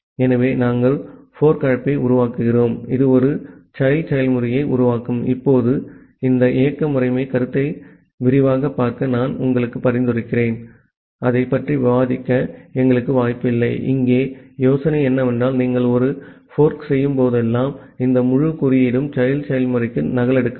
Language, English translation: Tamil, So, we are making a fork call which will create a child process, now I will suggest you to look into this operating system concept in details, we do not have scope to discuss that, the idea here is that whenever you are making a fork call this entire code will be copied to the child process as well